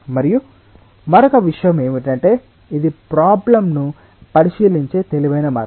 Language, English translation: Telugu, and the other thing is that this is the clever way of looking in to the problem